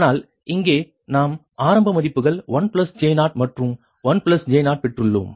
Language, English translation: Tamil, but here we have the or taken that initial values: one plus j zero and one plus j zero